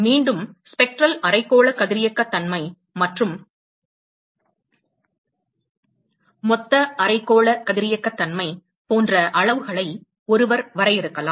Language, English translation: Tamil, And once again, one could define quantities like, Spectral hemispherical radiosity and Total hemispherical radiosity